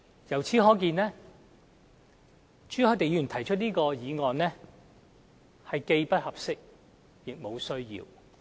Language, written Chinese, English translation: Cantonese, 由此可見，朱凱廸議員提出的議案既不合適，亦無需要。, It can be seen that Mr CHU Hoi - dicks motion is not appropriate and unnecessary